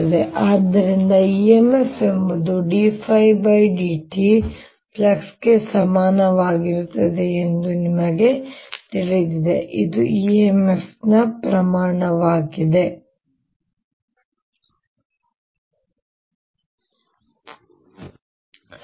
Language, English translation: Kannada, so you know as such that e m f is equal to d by d t, the flux, the magnitude of e m f